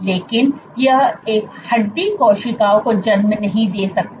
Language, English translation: Hindi, But this guy, it cannot it cannot give rise to a bone cell